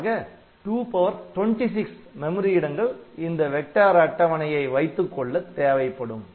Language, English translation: Tamil, So, 2 power 26 memory locations 2 power 26 bytes of memory location will be needed to just hold the vector table just to hold the vector table